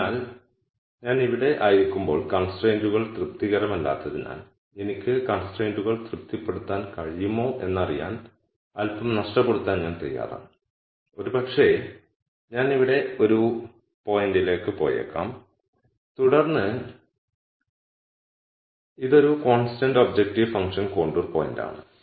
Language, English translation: Malayalam, So, while I am here since the constraint is not satis ed, I am willing to lose a little to see whether I can satisfy the constraint and maybe I go to a point here and then this is a constant objective function contour point